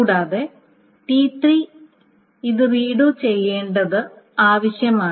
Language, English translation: Malayalam, And for T3, the redoing of this thing needs to be done